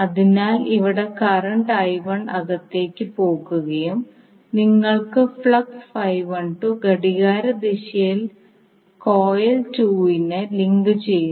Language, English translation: Malayalam, So here the current I1 is going inside you are getting flux phi 12 linking in the clockwise direction to the coil 2